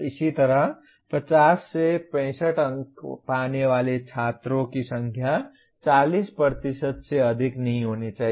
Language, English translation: Hindi, Similarly, students getting between 50 and 65 marks should be more than 40%